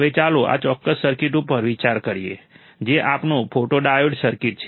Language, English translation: Gujarati, Now, let us consider this particular circuit, which is our photodiode circuit